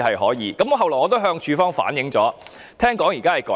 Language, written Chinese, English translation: Cantonese, 後來，我亦向署方反映，聽說現時已有改善。, Later I brought this case to the attention of CSD and I heard that improvement has been made now